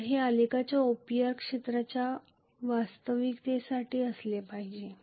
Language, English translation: Marathi, So this should be actually equal to area OPR in the graph